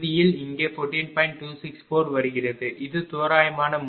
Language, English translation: Tamil, 264, this is the approximate method